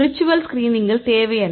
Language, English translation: Tamil, So, what the virtual screen does